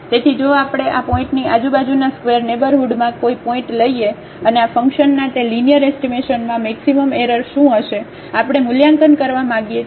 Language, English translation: Gujarati, So, if we take any point in this neighborhood square neighborhood around this point and what will be the maximum error in that linear approximation of this function we want to evaluate